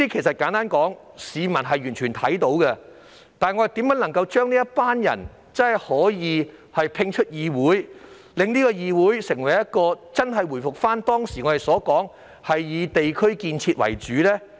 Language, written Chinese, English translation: Cantonese, 市民完全看到這些情況，但我們如何能將這些人摒出議會，令議會真正回復至"以地區建設"為主？, Members of the public are well aware of these but how can we oust these people from DCs to truly bring the focus of DCs back to district development?